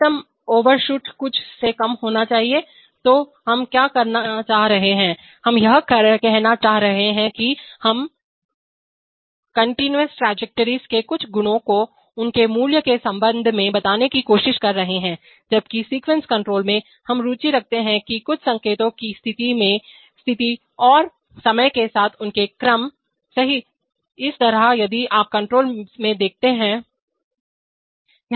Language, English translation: Hindi, Maximum overshoot should be less than something, so what are we trying to say, we are trying to say that, we are trying to describe some properties of the continuous trajectories in terms of their values, while in the sequence control, we are interested in either status of some signals and their sequences over time, right, oops, similarly if you look at control